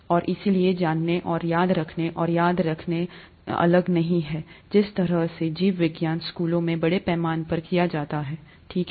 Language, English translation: Hindi, And therefore, knowing and remembering and recalling and so on so forth is no different from the way biology is done largely in schools, right